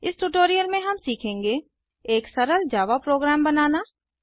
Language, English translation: Hindi, In this tutorial we will learn To create a simple Java program